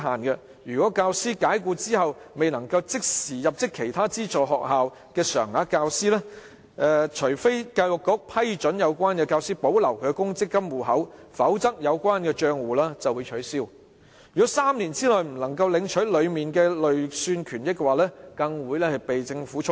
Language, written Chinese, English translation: Cantonese, 若教師遭解僱後，未能即時入職其他資助學校成為常額教師，除非他獲教育局批准保留公積金戶口，否則有關帳戶會被取消；若3年內未能領取公積金戶口裏的累算權益，更會被政府充公。, If a teacher fails to secure employment as a regular teacher in other aided schools immediately after dismissal his provident fund account will be cancelled unless approval for retention is given by the Education Bureau; if he fails to collect the accrued benefits in his provident fund account within three years such benefits will even be forfeited by the Government